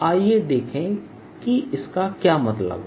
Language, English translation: Hindi, let us see that what it means